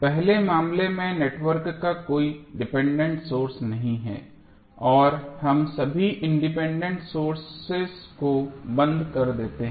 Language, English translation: Hindi, In first case the network has no dependent sources and we turn off all the independent sources turn off means